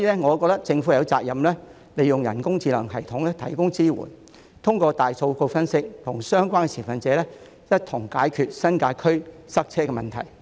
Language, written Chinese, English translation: Cantonese, 我覺得政府有責任利用人工智能系統提供支援，透過大數據分析，與相關持份者一同解決新界區塞車的問題。, I think the Government has the responsibility to make use of artificial intelligence systems to provide support . Through big data analysis it can work with relevant stakeholders to solve the traffic congestion problem in the New Territories